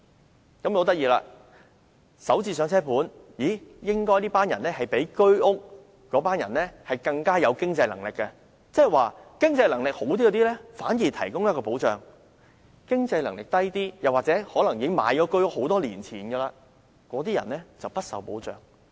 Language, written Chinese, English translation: Cantonese, 很有趣的是，"港人首置上車盤"業主應該較居屋業主更有經濟能力，惟政府反而為經濟能力較佳的人提供保障，而那些經濟能力較低或購置居屋多年的人卻不受保障。, Interestingly owners of Starter Homes are supposed to be better - off financially than their HOS counterparts . Yet the Government offers protection to those who are financially more able while leaving the less well - offs or HOS owners who bought their flats years ago without any protection